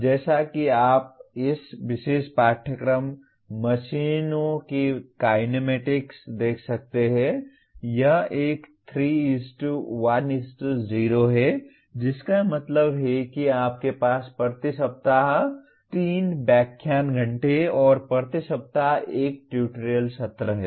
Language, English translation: Hindi, As you can see this particular course, kinematics of machines, it is a 3:1:0 that means you have 3 lecture hours per week and 1 tutorial session per week